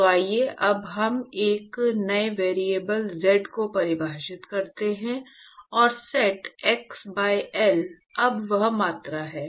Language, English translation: Hindi, So, let us now divide define a new variable z, and set x by L is now that quantity